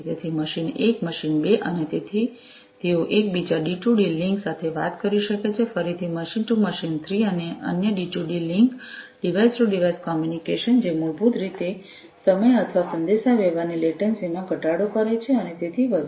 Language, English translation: Gujarati, So, machine 1, machine 2 they can talk to each other D2D link, again machine 2 to machine 3 you know another D2D link device to device communication that basically cuts down on the time or the latency of communication and so on